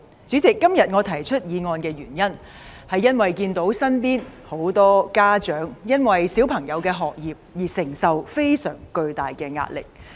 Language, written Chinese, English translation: Cantonese, 主席，今天我動議這議案的原因，是因為看到身邊很多家長，為了子女的學業而承受非常巨大的壓力。, President I move this motion today because I have noticed that many parents are suffering huge pressure from educating their children